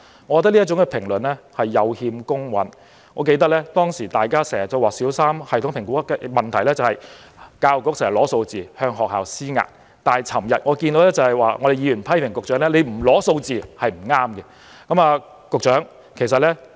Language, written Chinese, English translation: Cantonese, 我認為這評論有欠公允，我記得以前大家經常說小三全港性系統評估的問題是教育局經常索取數字，向學校施壓，但昨天議員卻批評局長不索取數字是不正確的。, I think such criticisms are unfair . I remember that in the past Members said that the problem with TSA was that the Education Bureau often required schools to provide it with figures thus imposing pressure on schools . However the Member criticized the Secretary yesterday and said that it was wrong for him not to obtain the figures